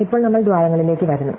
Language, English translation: Malayalam, Now, we come to the holes, right